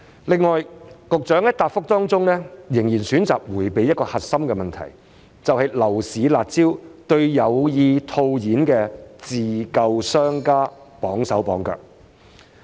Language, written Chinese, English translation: Cantonese, 此外，局長在主體答覆仍然選擇迴避一個核心的問題，便是樓市"辣招"對有意套現自救的商家綁手綁腳。, The Government should pay serious attention to this trend . Besides the Secretary still chose to dodge a core question in his main reply and that is the harsh measures on the property market have become a constraint on enterprises which intend to cash out to save their business